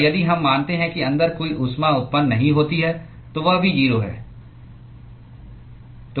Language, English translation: Hindi, And if we assume that there is no heat generation inside, that is also 0